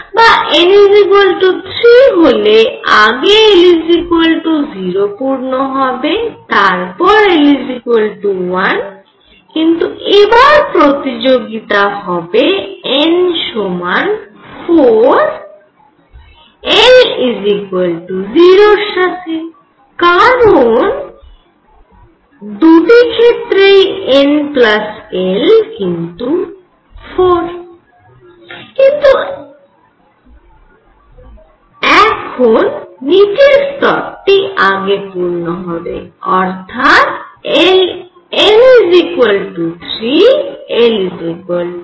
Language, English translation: Bengali, Or n equals 3, I will have l equals 0 being filled, l equals 1 being filled and now I have a competition with n equals 4 l equals 0 because n plus l is equal to 4 for both